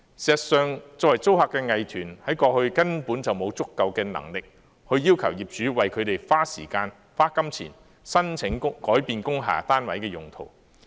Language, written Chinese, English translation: Cantonese, 事實上，作為租客的藝團，在過去根本沒有足夠能力要求業主為他們花時間和金錢申請改變工廈單位的用途。, In fact as tenants the art groups did not have enough bargaining power in the past to ask the owners to spend time and money on applications for changing the use of industrial building units